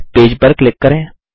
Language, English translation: Hindi, Click on the page